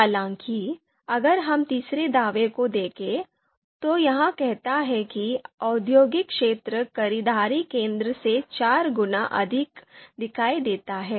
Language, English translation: Hindi, However, if we look at the third assertion, it says that industrial area is four times more visible than the shopping centre